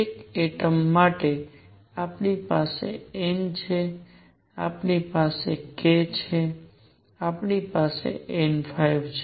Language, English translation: Gujarati, For an atom we have n, we have k, we have n phi